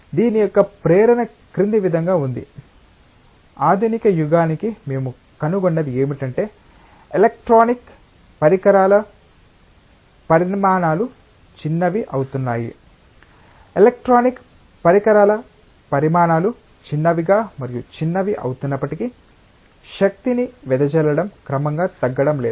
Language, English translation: Telugu, The motivation of this is as follows, as we have come to the modern era what we find is that the sizes of the electronic devices are getting smaller and smaller, despite the fact that sizes of the electronic devices are getting smaller and smaller, the power dissipation is not getting progressively reduced